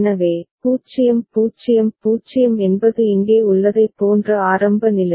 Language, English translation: Tamil, So, 0 0 0 is the initial state over here like right